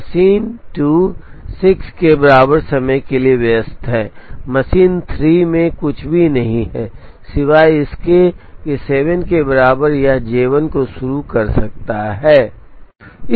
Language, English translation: Hindi, Machine 2 is busy up to time equal to 6, machine 3 does not have anything except that time equal to 7 it can start J 1